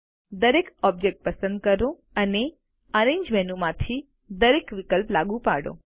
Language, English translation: Gujarati, Select each object and apply each option from the arrange menu